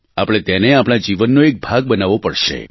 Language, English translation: Gujarati, We'll have to make it part of our life, our being